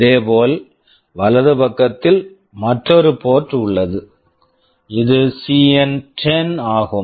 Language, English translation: Tamil, Similarly, on the right side there is another port this is CN10